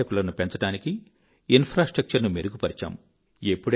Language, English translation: Telugu, There were improvements in the infrastructure to increase tourism